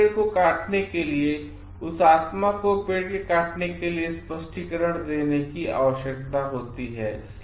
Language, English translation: Hindi, Cutting down a tree requires an explanation to that spirit tree for cutting it